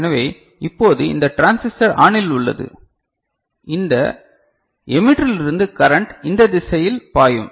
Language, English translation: Tamil, So, now this transistor is ON so, this emitter from this emitter the current will flowing in this direction right